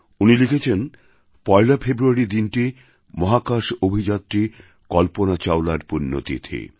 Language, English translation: Bengali, He writes, "The 1 st of February is the death anniversary of astronaut Kalpana Chawla